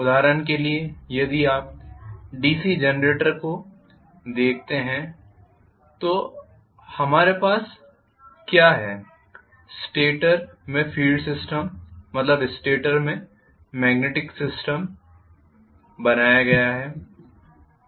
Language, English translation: Hindi, For example, if you look at the DC generator what we have is a field system in the stator that is the magnetic field is created in the stator